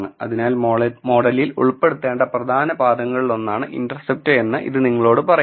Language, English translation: Malayalam, So, this tells you that intercept is one of the important terms that have to be included in the model